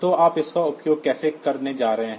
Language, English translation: Hindi, So, how are you going to use it